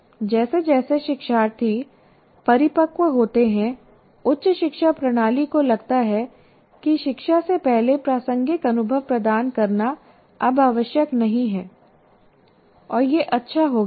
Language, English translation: Hindi, And somehow as learners mature the higher education system seems to feel that providing relevant experience prior to instruction is no longer necessary